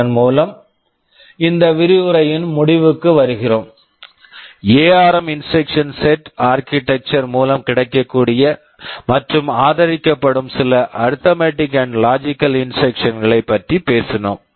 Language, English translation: Tamil, With this we come to the end of this lecture where we have talked about some of the arithmetic and logical instructions that are available and supported by the ARM instruction set architecture